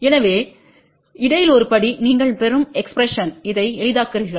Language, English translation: Tamil, So, just one step in between, you simplify this is the expression you will get